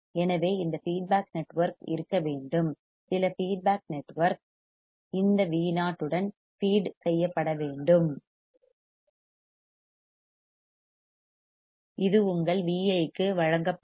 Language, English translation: Tamil, So, this feedback network should be there; some feedback network should be there right to with this V o should be fed, and this would be fed to your V i